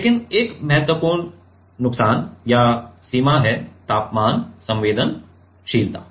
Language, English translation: Hindi, But, one important disadvantage or limitation is temperature sensitivity